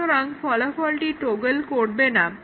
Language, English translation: Bengali, So, the result does not toggle